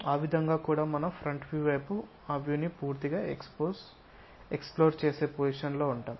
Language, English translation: Telugu, That way also we will be in a position to fully explore that view for the front